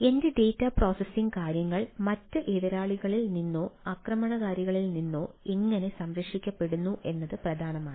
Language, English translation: Malayalam, right, so how my data processing things are protected from other adversaries or ah attackers are is important